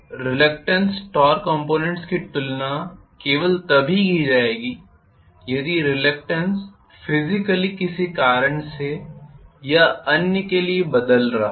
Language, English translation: Hindi, So the reluctance torque components will be visualized only if physically the reluctance itself is changing for some reason or the other